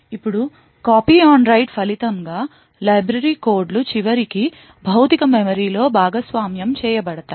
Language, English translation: Telugu, Now as a result of the copy on write, the library codes are eventually shared in the physical memory